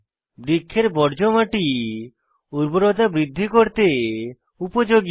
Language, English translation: Bengali, Tree wastes are useful in increasing soil fertility